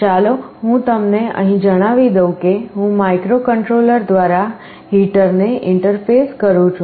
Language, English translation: Gujarati, Let me tell you here suppose I am interfacing a heater with a microcontroller